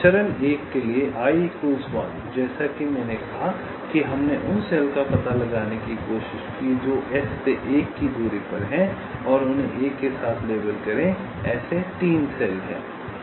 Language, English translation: Hindi, as i said, we tried to find out the cells which are at a distance of one from s and label them with one